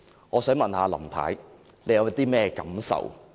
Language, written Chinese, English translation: Cantonese, 我想問林太，你對此有何感受？, May I ask Mrs LAM how she feels about this?